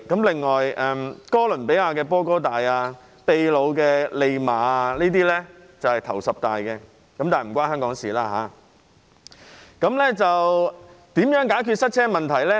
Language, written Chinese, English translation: Cantonese, 另外，哥倫比亞的波哥大、秘魯的利馬，這些城市都在十大之列，但這與香港無關。, Bogota in Colombia and Lima in Peru are also among the top ten but they have nothing to do with Hong Kong